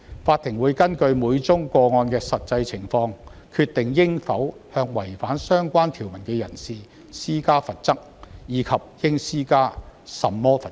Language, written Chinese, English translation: Cantonese, 法庭會根據每宗個案的實際情況，決定應否向違反相關條文的人施加罰則，以及應施加甚麼罰則。, The court will decide whether and what penalties should be imposed on a person who contravenes the relevant provisions of the Bill in accordance with the actual circumstance of each case